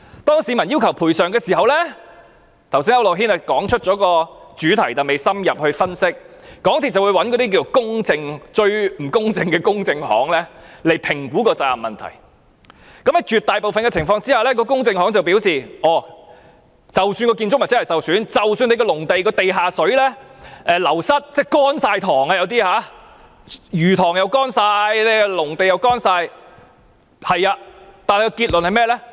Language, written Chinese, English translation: Cantonese, 當市民要求賠償時——剛才區諾軒議員也點出這問題，但未有深入分析——港鐵公司便會找一些最不公正的公證行來評估責任問題，而在絕大部分的情況下，公證行都會說即使建築物真的受損，即使農地的地下水流失，導致魚塘全部乾涸、農地也全部乾涸，即使這些都是事實，但結論是甚麼？, When the public demanded compensation―Just now Mr AU Nok - hin also highlighted this point but did not analyse it in depth―MTRCL would engage some most partial notaries to assess the liabilities . In the vast majority of cases despite actual damages caused to the structures or despite the loss of groundwater underneath the agricultural land thus causing the ponds and farmland to completely dry up and despite that these are facts what conclusions were drawn by these notaries?